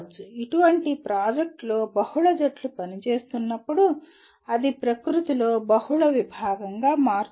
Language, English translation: Telugu, When multiple teams are working on such a project it becomes multidisciplinary in nature